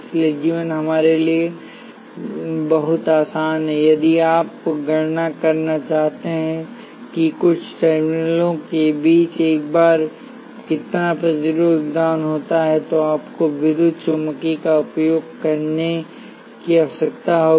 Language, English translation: Hindi, So, life is a lot simpler for us if you do want to calculate how much resistance a bar contributes between some terminals, you do need to use electromagnetic